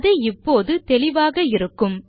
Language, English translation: Tamil, That should be pretty clear by now